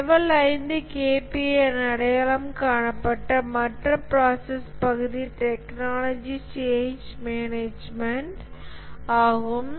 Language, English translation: Tamil, The other process area that is identified as the Level 5 KPA is technology change management